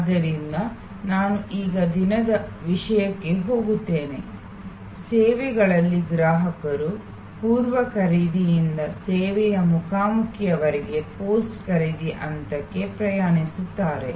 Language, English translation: Kannada, So, let me now go to the topic of day, the consumer in the services flow traveling from the pre purchase to the service encounter to the post purchase stage